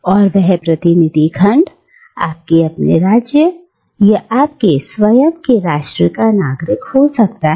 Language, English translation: Hindi, And that representative section can be the citizens of your own polis, or your own nation state